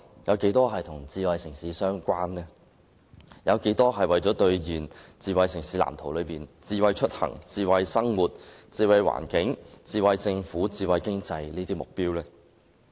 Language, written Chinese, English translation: Cantonese, 有多大程度是為了兌現《藍圖》中與"智慧出行"、"智慧生活"、"智慧環境"、"智慧政府"和智慧經濟"有關的目標呢？, How far can the funds allocated achieve the objectives set out in the Blueprint in relation to smart mobility smart living smart environment smart government and smart economy?